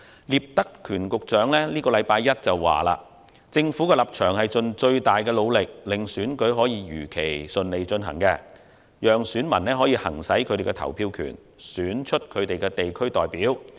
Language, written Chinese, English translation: Cantonese, 聶德權局長在本周一指出，政府的立場是盡最大努力令選舉如期順利舉行，讓選民行使他們的投票權，選出他們的地區代表。, Secretary Patrick NIP pointed out this Monday that it was the Governments stance to try its best to ensure that the DC Election would be held smoothly as scheduled so that voters could exercise their right to vote and elect their district representatives